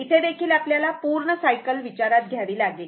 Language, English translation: Marathi, You have to consider the complete cycle